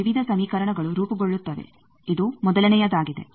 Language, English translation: Kannada, Various equations will form, this is the first one